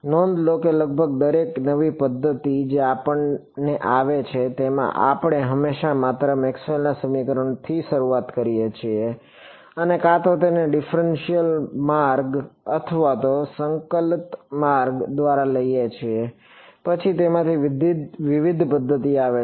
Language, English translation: Gujarati, See notice that, in almost not almost in every single new method that we come across, we always just start from Maxwell’s equations and either take it through a differential route or a integral route and then different methods come from them